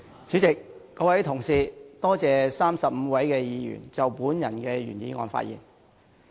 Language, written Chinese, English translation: Cantonese, 主席，各位同事，我感謝35位議員就我的原議案發言。, President and Honourable colleagues I am grateful to the 35 Members who have spoken on my original motion